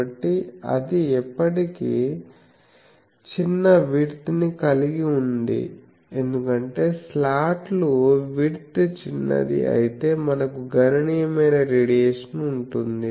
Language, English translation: Telugu, So, that but still it shows that at small width because, slots if it is small width then we have sizable radiation taking place